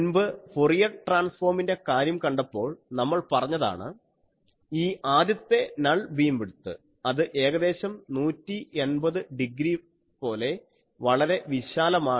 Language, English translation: Malayalam, So, you see almost in previous case for Fourier transform thing we say that this first null beam width that is very broad, it is almost like 180 degree